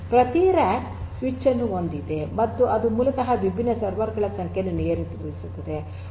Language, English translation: Kannada, So, we have every rack having a switch and is controlled it controls basically number of different servers